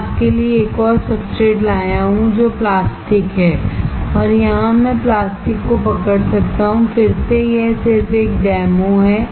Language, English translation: Hindi, I have brought you another substrate which is plastic and here I can hold the plastic, again this is just a demo